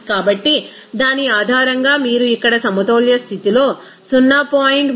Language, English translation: Telugu, So, based on that you can see that here it will be at equilibrium condition to be 0